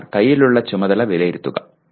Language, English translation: Malayalam, Given a task, assess the task at hand